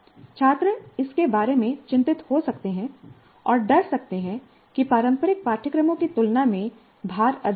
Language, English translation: Hindi, Students may be concerned about it and fear that the load would be overwhelming compared to traditional courses